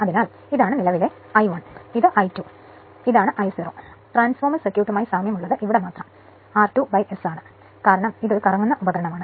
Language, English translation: Malayalam, So, and this is your and this part that this is the current I 1 this is current I 2 dash and this is I 0; quite similar to the transformer circuit right only here it is r 2 dash by S because it is a rotating device right